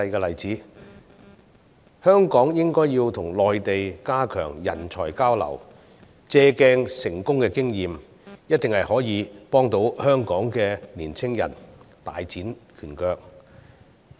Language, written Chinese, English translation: Cantonese, 香港應該要跟內地加強人才交流，借鑒成功的經驗，這樣一定可以幫助香港的年青人大展拳腳。, Hong Kong should therefore enhance talent exchanges with the Mainland to learn from its successful experiences . This can definitely help young people of Hong Kong to make strides